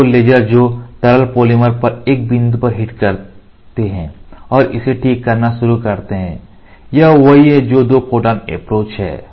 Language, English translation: Hindi, These 2 lasers who hit at the at a single point on the liquid polymer and start curing it so, this is what is Two photon approach